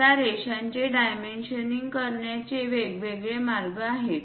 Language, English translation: Marathi, There are different ways of dimensioning these lines